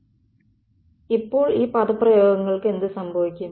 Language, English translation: Malayalam, So, what happens to these expressions